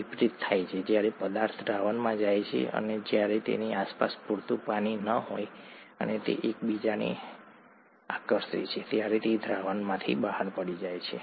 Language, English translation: Gujarati, The reverse happens when the substance goes into solution, and when there is not enough water surrounding it, and they attract each other, then it falls out of solution